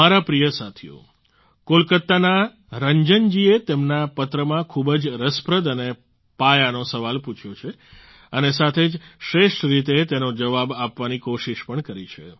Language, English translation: Gujarati, Ranjan ji from Kolkata, in his letter, has raised a very interesting and fundamental question and along with that, has tried to answer it in the best way